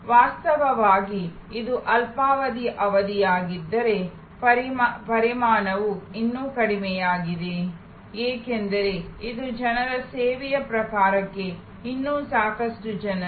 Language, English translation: Kannada, So, where actually it is a short duration, volume is still low, because it is still lot of people to people type of service